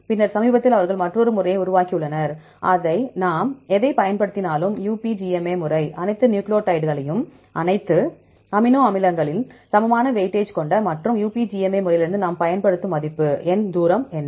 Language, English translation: Tamil, Then recently they had developed another method right, whatever we use, the UPGMA method, we consider all the nucleotides all the amino acids with equal weightage, and because what is the value, number we use from UPGMA method